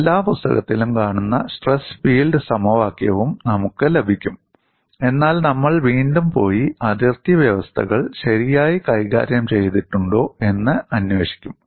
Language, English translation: Malayalam, You would also get the stress field equation which is seen in every book, but we will again go back and investigate whether the boundary conditions were properly handled